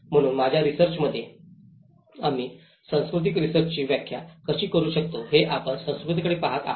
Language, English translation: Marathi, So in my research, we started looking at the culture how we can start defining the cultural research